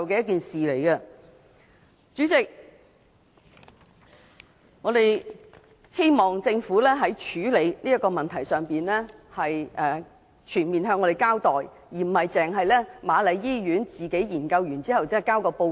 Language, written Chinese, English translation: Cantonese, 代理主席，我們希望政府在處理這個問題時，全面向市民交代，而不是瑪麗醫院自行研究和提交報告。, Deputy President I hope the Government can give a full account to the public in handling this matter rather than letting the Queen Mary Hospital conduct an investigation on its own and submit a report